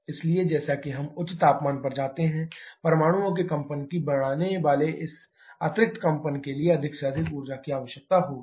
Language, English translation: Hindi, Therefore, as we move on to higher temperature, more and more energy will be required towards this added vibration enhance vibration of atoms